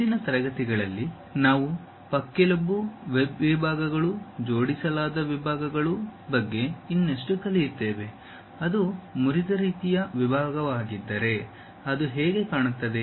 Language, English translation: Kannada, In the next classes we will learn more about rib web sections, aligned sections; if it is a broken out kind of section how it looks like